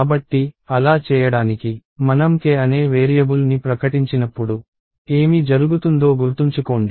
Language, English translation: Telugu, So, to do that let us remember what happens, when we declare a variable called k